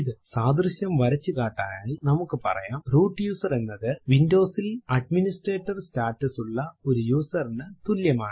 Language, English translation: Malayalam, To draw an analogy we can say a root user is similar to a user in Windows with Administrator status